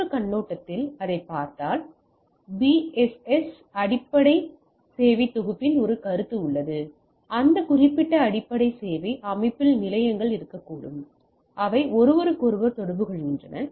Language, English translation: Tamil, and if we look at that from other perspective so, there is a concept of BSS Basic Service Set, where within that particular basic service set the stations can be there they communicate with each other